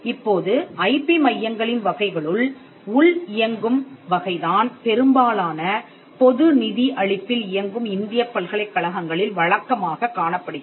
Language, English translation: Tamil, Now, the type of IPM centres or IP centres the internal one as we mentioned are the typical IPM cells that you will find in many public refunded universities in India